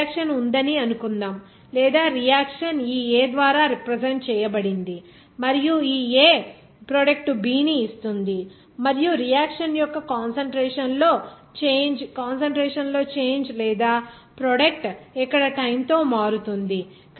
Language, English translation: Telugu, Suppose there is a reaction that is or reaction is represented by this A is giving the product B and the change in the concentration of the reactant or a product with time here